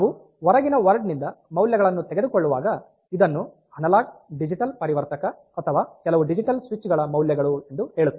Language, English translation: Kannada, So, when we are taking values from the outside walled in terms of say this a d c analogue digital converter or values of some digital switches and all that